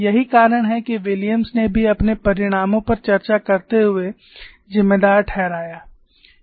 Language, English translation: Hindi, So, this is the reason Williams also attributed while discussing his results